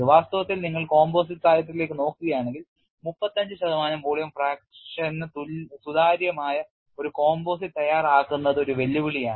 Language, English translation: Malayalam, In fact, if it look at composite literature, preparing a composite which is transparent with 35 percent volume, fraction is a challenge